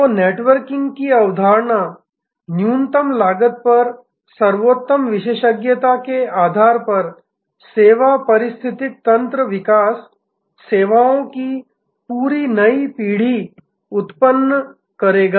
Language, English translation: Hindi, So, the concept of networking, service ecosystem development based on best expertise at lowest cost will generate complete new generations of services